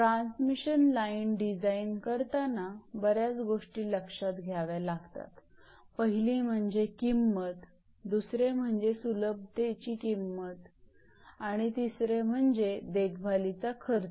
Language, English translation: Marathi, When you are designing transmission line certain things you have to consider; one is cost of construction, two is cost of your easements and three, cost of clearing and cost of maintenance